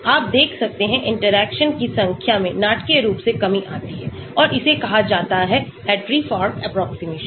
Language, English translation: Hindi, number of interactions you look at comes down dramatically and that is called the Hartree Fock approximation